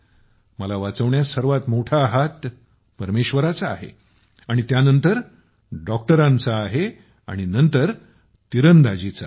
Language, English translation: Marathi, If my life has been saved then the biggest role is of God, then doctor, then Archery